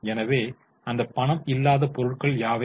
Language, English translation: Tamil, So, what are those non cash items